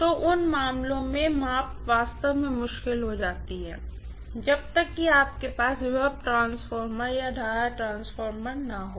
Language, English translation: Hindi, So, in those cases measurements really really become difficult unless you have potential transformer and current transformer, got it